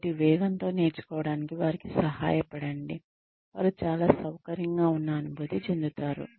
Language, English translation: Telugu, So, help them learn at a speed, that they feel, most comfortable with